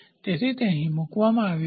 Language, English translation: Gujarati, So, it is placed here